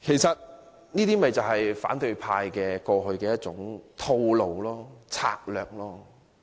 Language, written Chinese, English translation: Cantonese, 這正是反對派過去的一種套路或策略。, This is exactly the approach or strategy that the opposition camp has been using all along